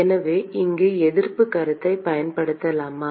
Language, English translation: Tamil, So, can we use resistance concept here